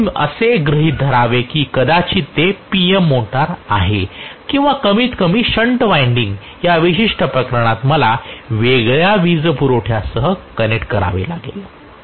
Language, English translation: Marathi, So I should assume that maybe it is a PM motor or at least in this particular case shunt winding I have to connect it to a separate power supply, Right